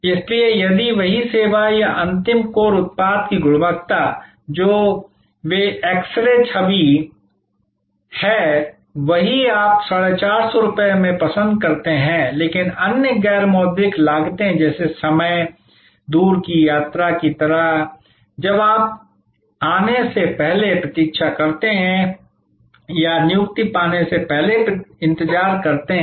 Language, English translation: Hindi, So, if the services same or the quality of the final core product, which is they are x ray image is the same, you prefer 450, but there are other non monitory costs like time, like distance travel, like the wait when you arrive or wait before you get an appointment